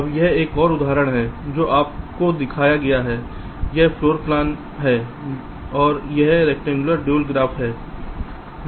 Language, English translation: Hindi, you are shown this, a floor plan, and this is the rectangular dual graph